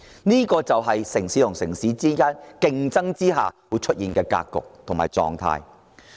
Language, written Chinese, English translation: Cantonese, 這就是城市之間競爭人才下會出現的格局及狀態。, This is the kind of landscape and situation arising from the talent competition among cities